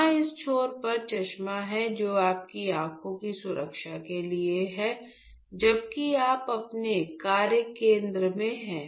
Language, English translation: Hindi, So, here at this end are the glass wears which are just to protect your eyes, while you are doing while you are in your workstation